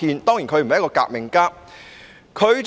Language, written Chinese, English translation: Cantonese, 當然，他不是一名革命家。, Of course he was not a revolutionary